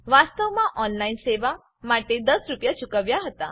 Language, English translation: Gujarati, Actually I paid 10 rupees for the online services